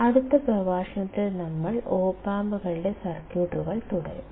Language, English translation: Malayalam, And then we will continue the circuits of op amps in the next lecture